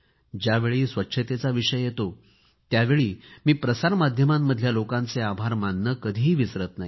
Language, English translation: Marathi, Whenever there is a reference to cleanliness, I do not forget to express my gratitude to media persons